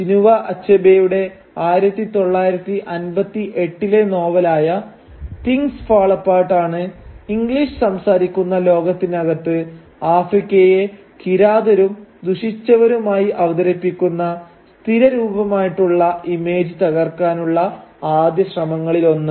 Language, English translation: Malayalam, And Chinua Achebe’s 1958 novel Things Fall Apart was one of the first attempts to break this stereotypical image of a sinister and barbaric Africa, at least within the English speaking world